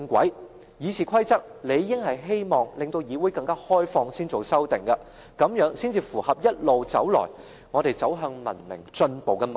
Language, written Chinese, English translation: Cantonese, 修訂《議事規則》理應是希望議會更為開放，這樣才符合一路以來我們走向文明進步的脈絡。, Any amendments to RoP should be able to bring about a more transparent Council in line with our unfailing effort to put the legislature on the path to civilization